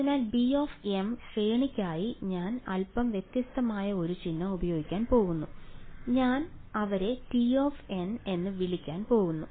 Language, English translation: Malayalam, So, b n and for the range I am going to use a slightly different symbol I am going to call them t n ok